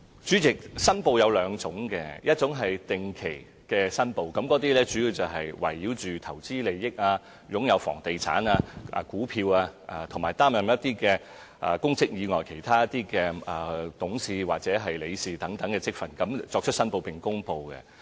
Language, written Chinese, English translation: Cantonese, 主席，申報有兩種，一種是定期申報，主要圍繞投資利益、房地產、股票，以及擔任公職以外其他董事或理事等職份，他們所作出的申報，並就此公布。, President there are two kinds of declarations . The first one is regular declarations mainly concerning investments real estate shares and directorships or membership of committees other than their official positions and so on . This is about declarations made and published in this respect